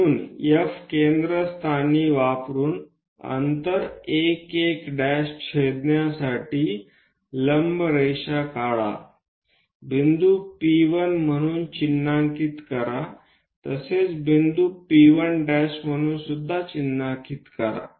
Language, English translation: Marathi, So, use F as center whatever the distance 1 1 prime cut this one, so that where it is going to intersect this perpendicular line that mark as P 1 point similarly mark other point as P 1 prime